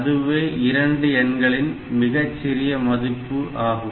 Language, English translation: Tamil, So, that is the LCM of the two numbers